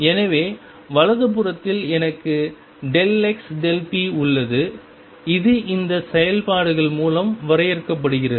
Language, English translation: Tamil, So, on the right hand side I have delta x delta p which is defined through all this operations